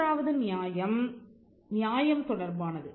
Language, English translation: Tamil, The third justification is one of fairness